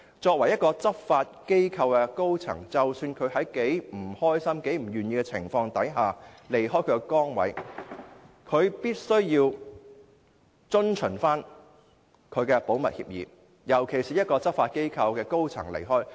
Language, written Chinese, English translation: Cantonese, 身為一間執法機構的高層，即使她在多麼不愉快、多麼不願意的情況下離開崗位，亦必須遵守保密協議，尤其是她是一間執法機構的高層人員。, She was a senior officer in a law enforcement body so she must observe the confidentiality agreement regardless of how unhappy or reluctant she was at the time of leaving her position . In particular she was a senior officer in a law enforcement body